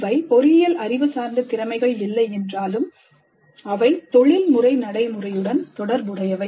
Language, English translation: Tamil, They are not necessarily only engineering knowledge based competencies, but they are also related to the professional practice